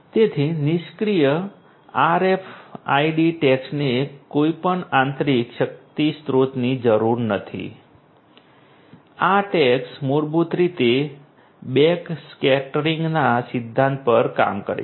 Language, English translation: Gujarati, So, passive RFID tags do not require any internal power source, they these tags basically work on the principle of backscattering